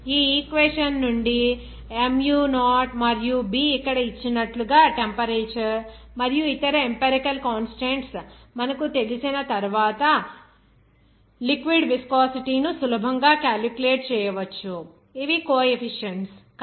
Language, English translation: Telugu, From this equation, you can easily calculate the viscosity of the liquid once you know that temperature and also other empirical constants as given here mu0 and b, these are coefficients